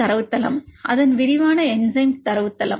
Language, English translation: Tamil, Its comprehensive enzyme database